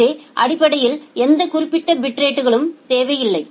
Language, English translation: Tamil, So, basically does not require any particular bit rate